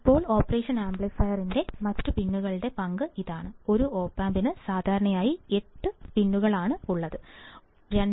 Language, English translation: Malayalam, Now, this is the role of the other pins of the operational amplifier, you know that commonly 8 pins in an op amp